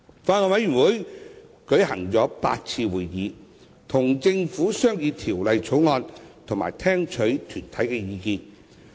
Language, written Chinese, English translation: Cantonese, 法案委員會曾舉行8次會議，跟政府商議《條例草案》和聽取團體的意見。, The Bills Committee has held eight meetings to discuss the Bill with the Government and to receive views from deputations